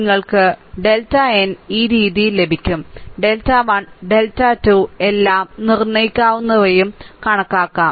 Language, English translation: Malayalam, You will get delta n this way delta 1, delta 2, delta 3 all can be determinants can be computed, right